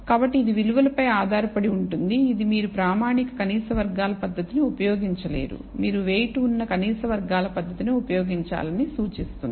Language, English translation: Telugu, So, it depends on the value itself, which implies that you cannot use a standard least squares method, you should use a weighted least squares method